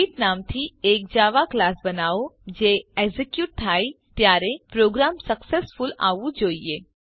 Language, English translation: Gujarati, Create a java class by the name Greet it should bring Program Successful when executed